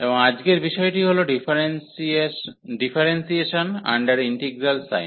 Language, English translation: Bengali, And today’s topic will be Differentiation Under Integral Sign